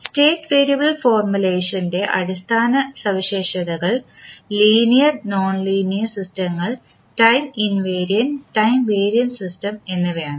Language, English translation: Malayalam, The basic characteristics of a state variable formulation is that the linear and nonlinear systems, time invariant and time varying system